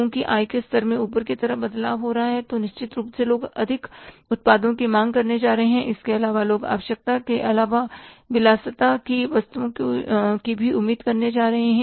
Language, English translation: Hindi, They know it that when there is a change in the income level of the people, there is upward change in the income level of the people, then certainly people are going to demand more products apart from the necessities, people are going to expect the comforts, even the luxuries